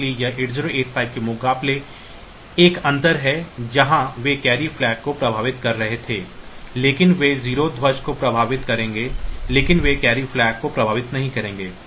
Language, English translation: Hindi, So, this is one difference compared to say 8 0 8 5 where they were affecting the carry flag, but they will affect the 0 flag, but they will not affect the carry flag